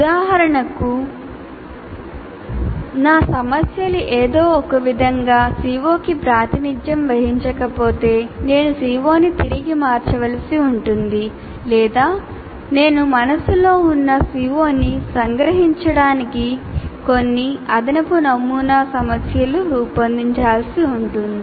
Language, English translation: Telugu, For example, if my problems do not somehow is not exactly representing the CO, I may be required to reword the CO or I may have to redesign some additional sample problems to really capture the CO that I have in mind